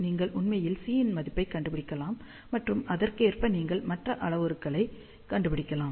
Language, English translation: Tamil, So, you can actually find the value of C, and correspondingly you can find the other parameters